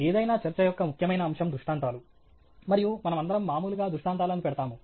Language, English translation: Telugu, An important aspect of any talk is illustrations, and we all routinely put up illustrations